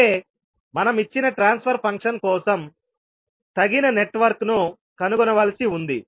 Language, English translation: Telugu, That means we are required to find a suitable network for a given transfer function